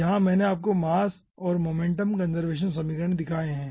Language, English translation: Hindi, as i have told you that we will be having mass and momentum conservation equation here also i have shown you the mass and momentum conservation equation